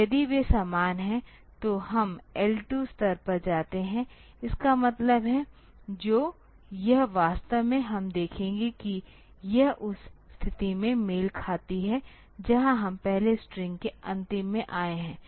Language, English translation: Hindi, So, that way; so, if they are same then we jump to the level L 2; that means, which it actually we will see that it corresponds to the position where we have come to the end of first string